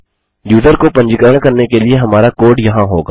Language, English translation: Hindi, Our code to register the user will go here